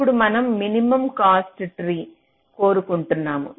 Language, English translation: Telugu, now, this is what we are wanting in the minimum cost tree